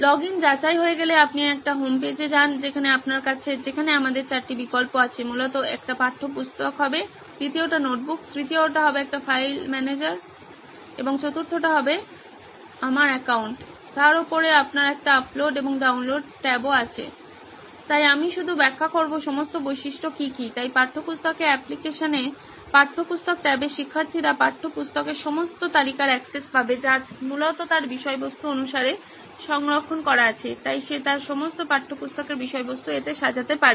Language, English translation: Bengali, Once the login is validated you go to a homepage where you have, where we have four options basically one would be the textbook and second would be the notebook, third would be a file manager and fourth would be my accounts, on top of that you also have an upload and a download tab, so I‘ll just explain what all are the features, so in the textbook application, on the textbook tab the students will have access to all the list of textbooks that have essentially been saved as per his content, so he can organise all his textbook content on in that